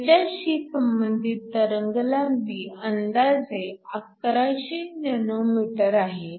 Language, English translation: Marathi, This corresponds to a wavelength of approximately 1100 nanometers